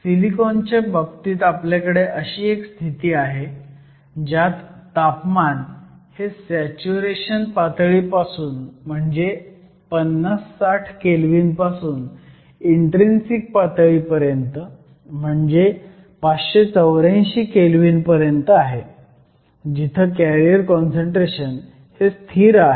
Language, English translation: Marathi, So, in the case of silicon, we have a regime starting from the saturation temperature which is around 50 Kelvin or 60 Kelvin; to an intrinsic temperature, there is around 584 Kelvin, where the carrier’s concentration is essentially a constant